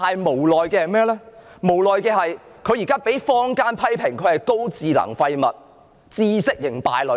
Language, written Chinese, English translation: Cantonese, 無奈的是，他現在卻被坊間批評為"高智能廢物"、"知識型敗類"。, Regrettably he has been criticized by members of the community as intelligent waste and intellectual scum